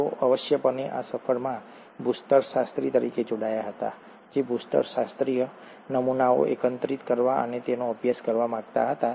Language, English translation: Gujarati, He essentially joined this voyage as a geologist who wanted to collect geological specimens and study them